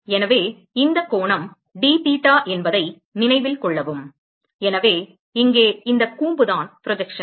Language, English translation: Tamil, So, note that this angle is dtheta and so the projection is this cone here